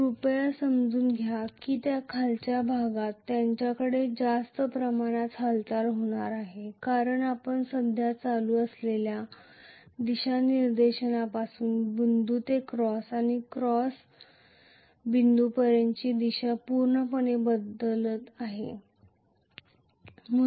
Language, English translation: Marathi, Please understand that in the cusp, they are hardly going to have much of current because you are looking at the current completely changing its direction from dot to cross and cross to dot